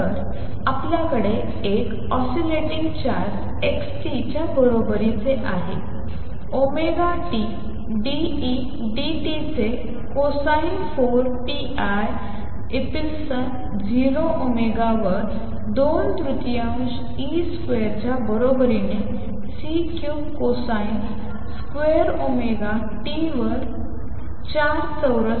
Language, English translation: Marathi, So, we have from an oscillating charge x t equals A cosine of omega t d E d t is equal to 2 thirds e square over 4 pi epsilon 0 omega raise to 4 amplitude square over C cubed cosine square omega t